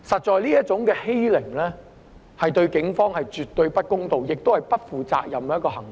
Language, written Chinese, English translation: Cantonese, 這種欺凌實在對警方絕對不公道，也是不負責任的行為。, This kind of bullying is indeed absolutely unfair to the Police and also irresponsible